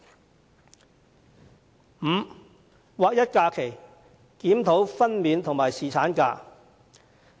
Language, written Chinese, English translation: Cantonese, 第五，劃一假期，檢討分娩假和侍產假。, Fifth aligning the numbers of holidays and reviewing maternity leave and paternity leave